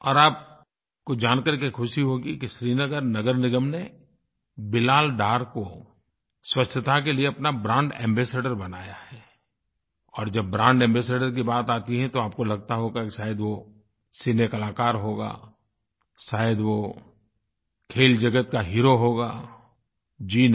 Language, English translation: Hindi, And you will be glad to know that Srinagar Municipal Corporation has made him their brand ambassador and when there is a talk of brand ambassador, there is a general feeling that he/she must be a Cine artist or a sportspersonality